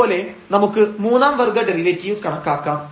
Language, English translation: Malayalam, Similarly, we can compute the third order derivative